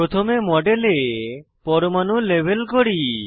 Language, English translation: Bengali, First let us label the atoms in the model